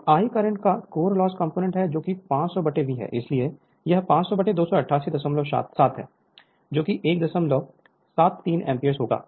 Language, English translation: Hindi, So, I i the core loss component of the current 500 by V, so 500 by 288